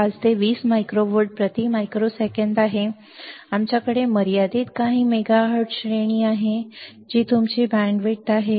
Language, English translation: Marathi, 5 to 20 micro 20 volts per microsecond, we have limited few megahertz range that is your bandwidth, that is your bandwidth